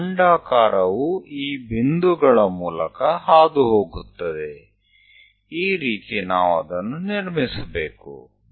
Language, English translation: Kannada, So, my our ellipse goes via these points; this is the way one has to construct